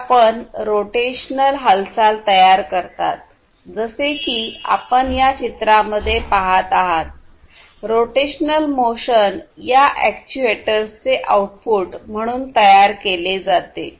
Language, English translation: Marathi, But, produces rotational motion like the example that you see the picture that you see in front of you, rotational motion is produced as an output of these actuators